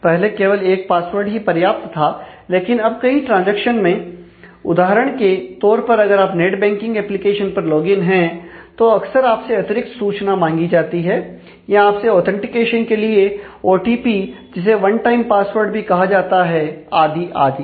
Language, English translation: Hindi, So, giving just one password was enough, but now in many transactions for example, if you are logging into a net banking application then, often you will be asked to provide some additional key information, or you will be asked to do a authentication by OTP one time password and and so on